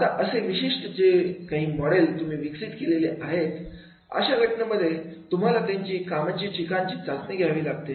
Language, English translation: Marathi, Now this particular model, whatever has been designed in that case, you have to go the testing at the workplace